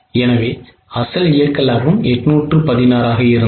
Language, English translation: Tamil, The old profit was 816